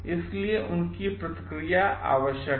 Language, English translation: Hindi, So, their feedback is essential